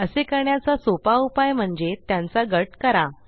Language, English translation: Marathi, An easier way to do this is to group them